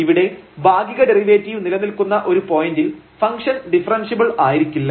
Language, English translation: Malayalam, So, in this example we have seen that the partial derivatives are not continuous though the function is differentiable